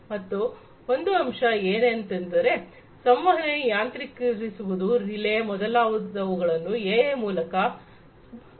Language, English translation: Kannada, So, one aspect is to improve upon the communication, automation, relay, etcetera, etcetera using AI